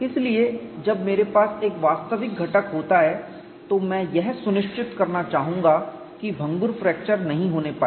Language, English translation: Hindi, So, when I have an actual component, I would like to ensure brittle fracture does not occur